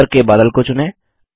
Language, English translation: Hindi, Let us select the top cloud